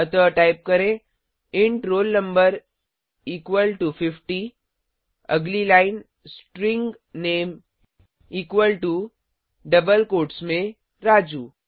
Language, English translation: Hindi, So type,int roll no equal to 50 next line string name equal to within double quotes Raju